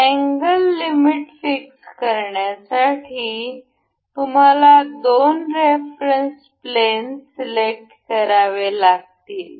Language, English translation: Marathi, To set angle limits, we have to again select two reference planes